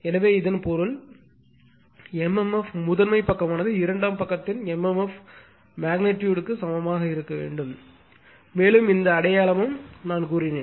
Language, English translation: Tamil, So, that means, mmf this side primary side must be equal to mmf of the secondary side as the magnitude on this sign come, right and this sign also I also I told you